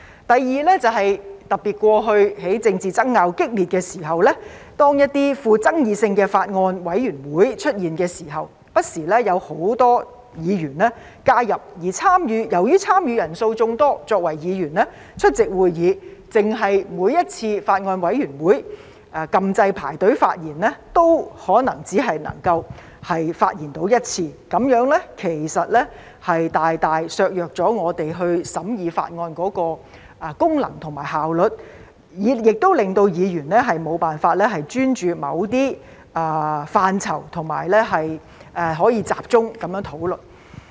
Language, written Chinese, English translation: Cantonese, 第二，特別是過去在政治爭拗激烈時，當一些富爭議性的法案委員會出現時，不時有很多議員加入，而由於參與人數眾多，作為議員出席會議，單是在每次法案委員會會議按"要求發言"按鈕輪候發言，或許也只可能發言一次，這樣其實大大削弱了我們審議法案的功能和效率，亦令議員無法專注於某些範疇和集中討論。, The second problem is that especially when some controversial Bills Committees were formed amid heated political arguments many Members would often join those Bills Committees . Given the large membership size each Member who attended a meeting might be able to speak only once after having pressed the Request to speak button to wait for hisher turn to speak at each Bills Committee meeting . This has greatly compromised our function and efficiency in scrutinizing bills making it impossible for Members to concentrate on certain areas and have focused discussion